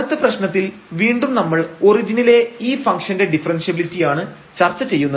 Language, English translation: Malayalam, So, we will check whether this function is differentiable at origin